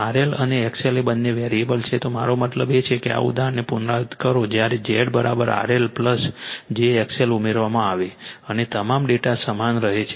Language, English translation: Gujarati, R L and X L are both variables I mean you repeat this example when Z is equal to your R L plus j x l added, and all data remains same, all data remains same right